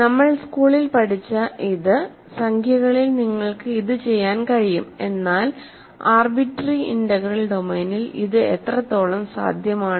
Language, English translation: Malayalam, So, the question is what we have learned in school is that in integers you can do this, question is: how much of this is possible in an arbitrary integral domain